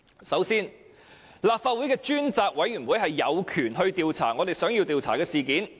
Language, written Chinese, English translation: Cantonese, 首先，立法會的專責委員會有權調查議員想要調查的事件。, Firstly a select committee set up by the Legislative Council has the power to investigate any incident that Members want to investigate